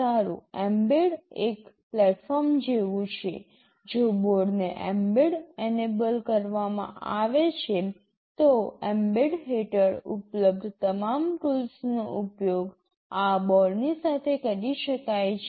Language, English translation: Gujarati, Well, mbed is like a platform; if a board is mbed enabled then all the tools that are available under mbed can be used along with this board